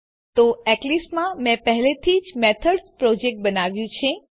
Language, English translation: Gujarati, So, in the eclipse, I have already created a project Methods